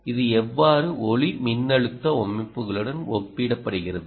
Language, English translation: Tamil, ok, how does it compare with a photovoltaic systems